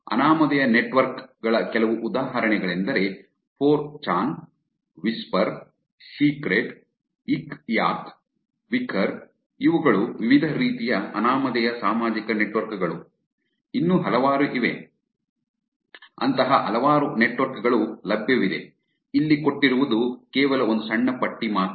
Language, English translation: Kannada, Some examples of anonymous networks are 4chan, Whisper, Secret, Yik Yak, Wickr, these are the different types of anonymous social network, there are many, there are many such networks that are available there here is only a small list